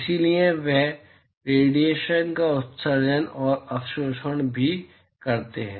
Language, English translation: Hindi, So, they also emit and absorb radiation